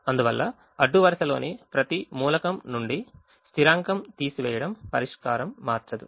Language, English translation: Telugu, therefore, subtracting a constant from every element of the row will not change the solution